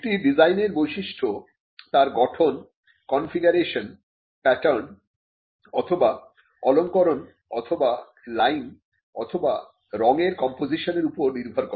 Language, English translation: Bengali, A design is only the features of shape, configuration, pattern or ornamentation or composition of lines or colours on a product